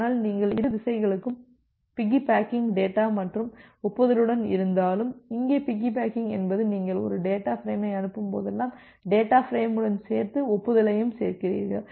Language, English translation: Tamil, But even if you are piggybacking data and acknowledgement for the both the directions, so piggybacking here means that whenever you are sending a data frame, along with the data frame, you also adds up the acknowledgement